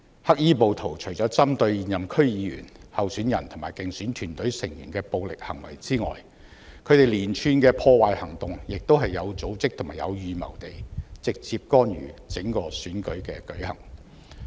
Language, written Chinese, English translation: Cantonese, 黑衣暴徒除了針對現任區議員、候選人及競選團隊成員的暴力行為之外，亦以有組織和有預謀的連串破壞行動直接干預整個選舉的舉行。, In addition to threatening incumbent DC members candidates and electioneering team members with violence black - clad rioters directly interfered with the Election through a series of vandalizing acts conducted in an organized and premeditated manner